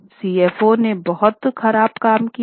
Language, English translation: Hindi, CFO had done a very poor job